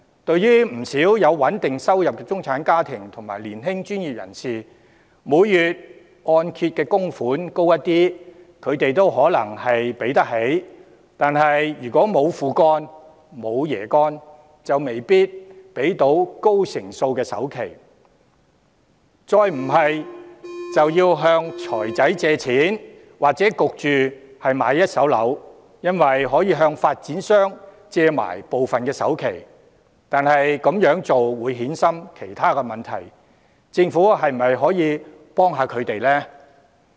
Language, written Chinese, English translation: Cantonese, 對於不少有穩定收入的中產家庭和年輕專業人士，每月按揭供款略為提高，他們可能還可應付，但如果沒有"父幹"、沒有"爺幹"，就未必可以付出高成數的首期，他們可能要向財務公司借錢，或買一手樓，因為可以向發展商借部分首期，但這樣會衍生其他問題，政府是否可以幫忙？, Even if monthly mortgage payment is slightly increased many middle - class families and young professionals who have stable income may still be able to manage . However without their fathers and grandfathers deeds they may not be able to afford the high rate of down payment . They may have to take out loans from finance company or buy first - hand property because part of the down payment can be borrowed from developer